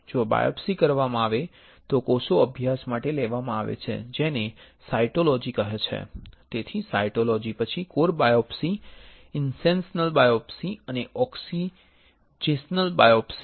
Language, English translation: Gujarati, If the biopsy is done then the cells are taken to study which is called cytology; so, cytology, then core biopsy, incisional biopsy and excisional biopsy